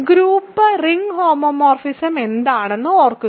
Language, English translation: Malayalam, So, recall what is a group ring homomorphism